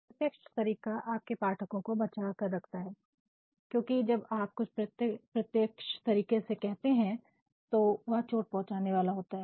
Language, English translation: Hindi, Indirect method not only saves the audience because when you say somebody in a very direct manner and the message is hurtful it will not be liked